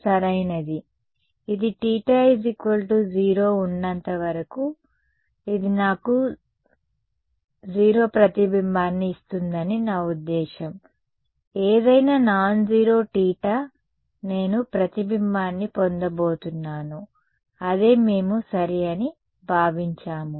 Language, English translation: Telugu, This is going to be I mean it will give me 0 reflection as long as theta is equal to 0, any nonzero theta I am going to get a reflection, that is what we have considered ok